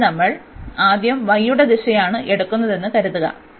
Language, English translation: Malayalam, So, suppose we are taking the direction of y first